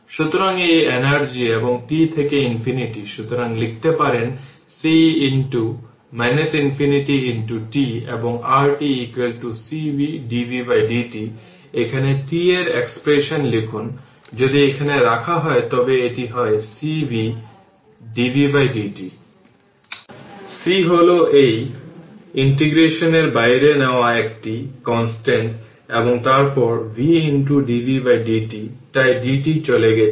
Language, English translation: Bengali, So, is equal to you can write c into minus infinity into t and your t is equal to cv dv by dt you put here expression of t if you put here it is cv dv by dt; c is a constant taken outside of this integration, and then v into dv by dt, so dt dt gone